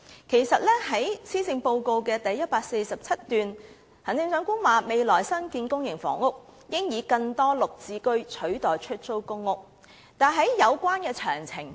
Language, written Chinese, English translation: Cantonese, 特首在施政報告第147段表示，未來的新建公營房屋應以更多"綠置居"取代出租公屋，但沒提及有關詳情。, The Chief Executive stated in paragraph 147 of the Policy Address that the future public housing developments should include more Green Form Subsidised Home Ownership Scheme GSH units instead of public rental housing PRH units but she fell short of mentioning the details